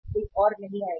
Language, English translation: Hindi, Nobody else will come